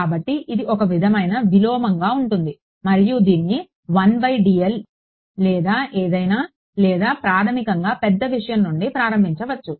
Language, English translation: Telugu, So, it sort of inverse you can think of this is 1 by dl or whatever or basically start from a large thing right